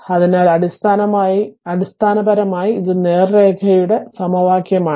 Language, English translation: Malayalam, So, basically this is equation of straight line